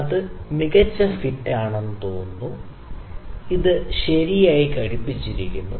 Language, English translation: Malayalam, It is looks like a good fit; it is fitting properly